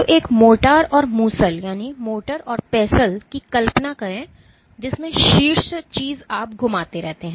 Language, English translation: Hindi, So, imagine a mortar and pestle in which the top thing you keep on rotating